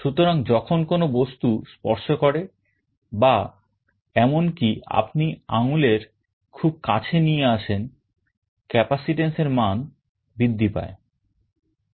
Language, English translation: Bengali, So, when the object touches or even you are bringing your finger in very close proximity, the value of the capacitance will increase